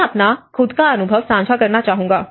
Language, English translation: Hindi, I would like to share my own experience